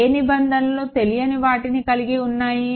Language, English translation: Telugu, Which terms carry the unknowns